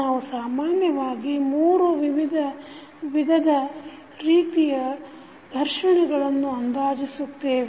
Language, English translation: Kannada, We generally approximate with 3 different types of friction